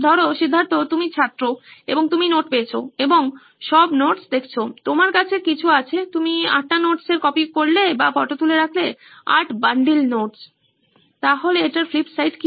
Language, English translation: Bengali, Suppose you are the student Siddharth and you get, you look at all these notes, you have some, you copied or photographed eight notes, eight bunch of notes, so what’s the flip side of that